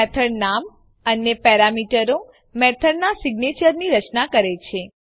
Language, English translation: Gujarati, The method name and the parameters forms the signature of the method